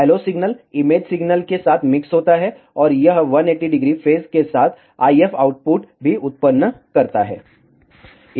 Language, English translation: Hindi, LO signal mixes with the image signal, and it also produces the IF output with a 180 degree phase